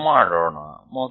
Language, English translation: Kannada, Let us do that